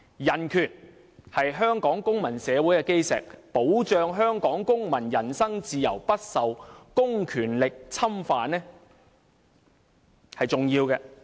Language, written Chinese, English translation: Cantonese, 人權是香港公民社會的基石，保障香港公民人身自由不受公權力侵犯，是重要的。, Human rights are the cornerstone of Hong Kongs civil society and they protect the personal freedoms of Hong Kong people from being infringed upon by public power and this is important